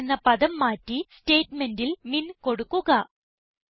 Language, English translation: Malayalam, Now, lets replace the term MAX in the statement with MIN